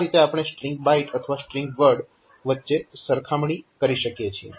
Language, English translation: Gujarati, So, this way we can compare between byte string byte or string word